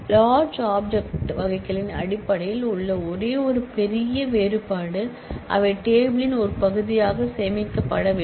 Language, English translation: Tamil, The only the major difference in terms of the large object types are they are not stored as a part of the table